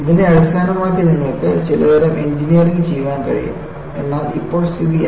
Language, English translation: Malayalam, You could do some kind of an engineering based on this, but what is the situation now